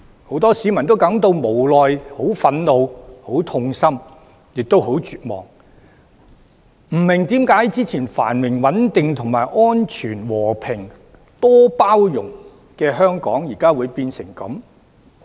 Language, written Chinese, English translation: Cantonese, 很多市民感到無奈、憤怒、痛心，亦很絕望，不明白之前繁榮穩定、和平安全、多元包容的香港，為何變成現在這樣？, Many people feel helpless angry heart - broken and hopeless . They do not understand why Hong Kong which used to be prosperous and stable peaceful and safe pluralistic and inclusive has degenerated into the present state